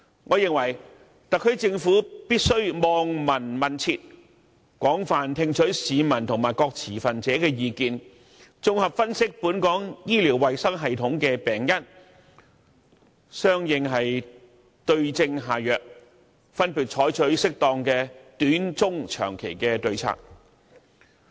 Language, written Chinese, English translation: Cantonese, 我認為特區政府必須"望聞問切"，廣泛聽取市民和各持份者的意見，綜合分析本港醫療衞生系統的病因，對症下藥，分別採取適當的短、中、長期的對策。, I believe the Government must observe hear and smell inquire and feel the pulse . It should listen to the views of the public and stakeholders analyse comprehensively the problems of Hong Kongs healthcare system and prescribe the right remedies by taking appropriate short - medium - and long - term measures